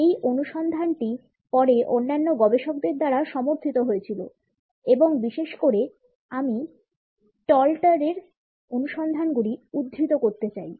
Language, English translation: Bengali, This finding was later on supported by various other researchers and particularly I would like to quote the findings by Stalter